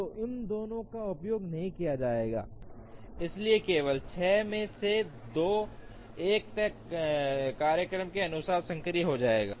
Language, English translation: Hindi, So, both these will not be used, so only 2 out of the 6 will become active according to a feasible schedule